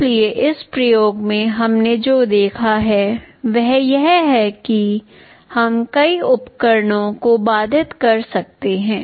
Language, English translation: Hindi, So, in this experiment what we have seen is that we can have multiple devices interfaced